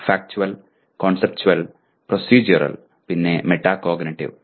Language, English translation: Malayalam, Factual, Conceptual, Procedural, and Metacognitive